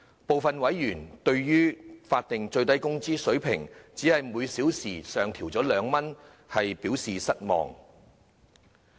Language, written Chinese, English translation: Cantonese, 部分委員對於法定最低工資水平只是每小時上調2元，表示失望。, Some members have expressed disappointment that the SMW rate would be adjusted upwards by 2 per hour only